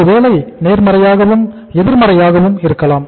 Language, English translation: Tamil, Maybe positively, maybe negatively